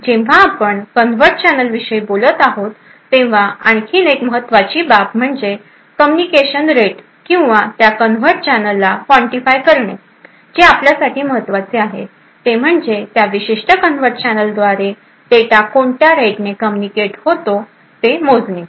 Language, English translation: Marathi, Another important aspect when we talk about coming about covert channels is the communication rate or to quantify that covert channel here what is important for us is to measure the rate at which data can be communicated through that particular covert channel